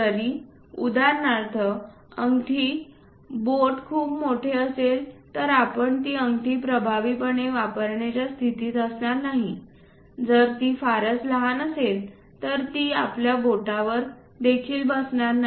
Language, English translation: Marathi, Even for example, the finger rings what we use if it is too large we will not be in a position to effectively use that ring, if it is too small it does not fit into our finger also